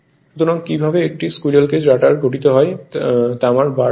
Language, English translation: Bengali, So, how so a squirrel cage rotor is composed of your what you call bare copper bars